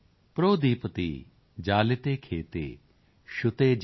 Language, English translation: Punjabi, ProdeeptiJaliteKhete, Shutee, Jethe